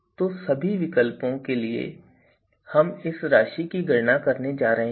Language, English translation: Hindi, So, for all the alternatives we would be you know computing these values